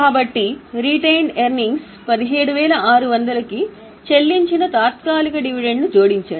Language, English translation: Telugu, So, retain earnings 17,600 to that add interim dividend paid